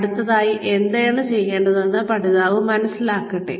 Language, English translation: Malayalam, Let the learner understand, what needs to be done next